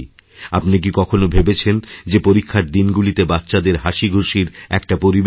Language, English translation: Bengali, Have you ever thought of creating an atmosphere of joy and laughter for children during exams